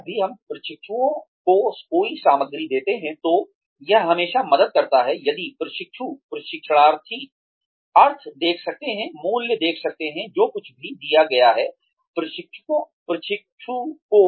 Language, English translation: Hindi, Whenever we give any material to the trainee, it always helps, if the trainee can see meaning , can see value, in whatever has been given, to the trainee